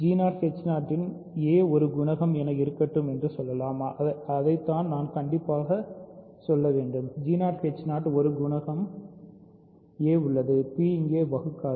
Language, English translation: Tamil, So, let us say let there exists a coefficient a of g 0 h 0 so, that is what I should say: there exist a coefficients a of g 0 h 0 such that p does not divide here